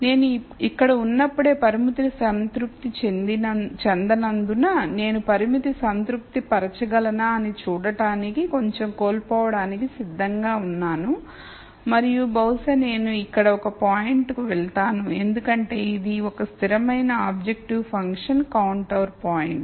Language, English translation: Telugu, So, while I am here since the constraint is not satis ed, I am willing to lose a little to see whether I can satisfy the constraint and maybe I go to a point here and then this is a constant objective function contour point